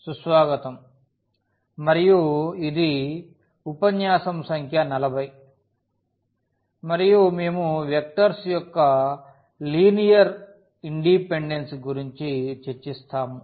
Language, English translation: Telugu, So, welcome back and this is lecture number 40, and we will be talking about the Linear Independence of Vectors